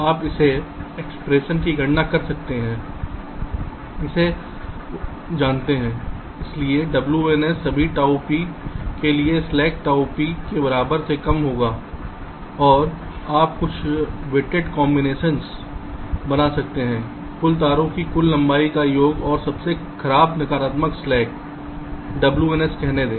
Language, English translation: Hindi, so w n s will be less than equal to slack tau p for all tau p, and you can make some weighted combinations: sum of the total length of the net wires and let say, the worst negative slack w n s